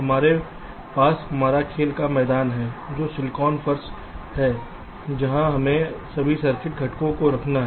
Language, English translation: Hindi, we have our play ground, which is the silicon floor, where we have to lay out all the circuit components